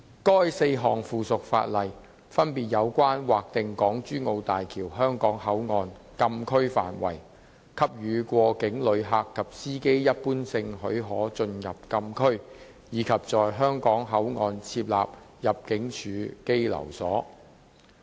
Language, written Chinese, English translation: Cantonese, 該4項附屬法例分別有關劃定港珠澳大橋香港口岸禁區範圍、給予過境旅客及司機一般性許可進入禁區，以及在香港口岸設立入境處羈留所。, The four pieces of subsidiary legislation respectively seek to designate Closed Areas in the Hong Kong - Zhuhai - Macao Bridge HZMB Hong Kong Port HKP grant general permission for cross - boundary passengers and drivers to enter the Closed Areas and set up detention quarters at HKP for use by the Immigration Department ImmD